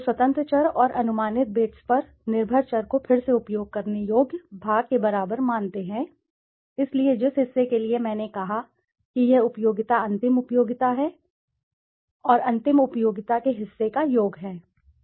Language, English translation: Hindi, So, regress dependent variables on the independent variables and estimated betas equal to the part worth utility, so the part worth which I said this utility is the ultimate utility and the ultimate utility is the summation of the part worth utility